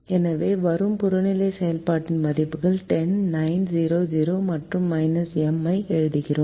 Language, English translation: Tamil, so we write the objective function, values ten, nine, zero, zero and minus m